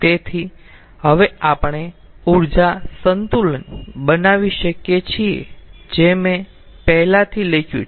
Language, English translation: Gujarati, so now we can make an energy balance, the energy balance already we have i have written